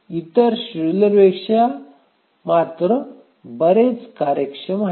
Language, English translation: Marathi, The other schedulers are much more efficient